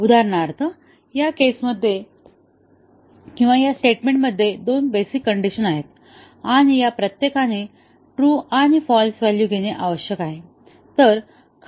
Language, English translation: Marathi, For example, in this case, in this statement there are two basic conditions, and each of this need to take true and false values